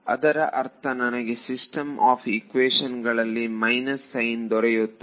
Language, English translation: Kannada, It will I mean I will get a minus sign in the system of equations